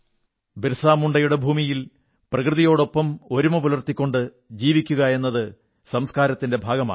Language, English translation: Malayalam, This is BirsaMunda's land, where cohabiting in harmony with nature is a part of the culture